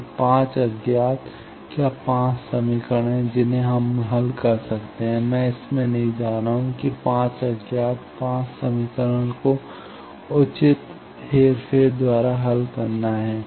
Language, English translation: Hindi, So, 5 unknowns, are there 5 equations we can be solved I am not going in to that have to solve 5 unknowns 5 equations by proper manipulation